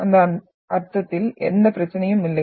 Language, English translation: Tamil, There is no problem in that sense